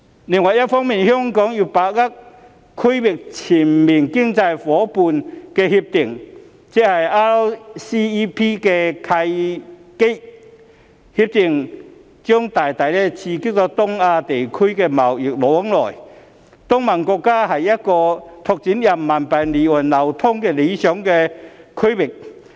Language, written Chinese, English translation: Cantonese, 另一方面，香港要把握《區域全面經濟伙伴關係協定》的契機，《協定》將大大刺激東亞地區的貿易往來，東盟國家是一個拓展人民幣離岸流通的理想區域。, On the other hand Hong Kong should seize the opportunity brought about by the Regional Comprehensive Economic Partnership RCEP which will greatly stimulate the trade flows in East Asia . Countries of the Association of Southeast Asian Nations ASEAN are an ideal region for expanding the offshore circulation of RMB